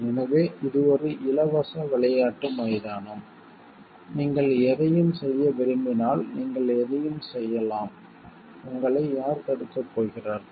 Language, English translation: Tamil, So, it is a like it is a free playing ground like if you want to do anything you can do anything then who is going to stop you